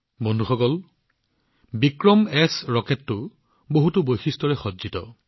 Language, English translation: Assamese, Friends, 'VikramS' Rocket is equipped with many features